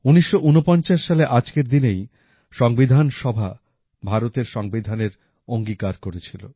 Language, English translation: Bengali, It was on this very day in 1949 that the Constituent Assembly had passed and adopted the Constitution of India